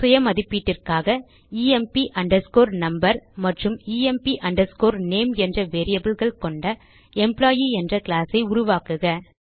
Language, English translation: Tamil, For self assessment create a class named Employee with variables emp underscore number and emp underscore name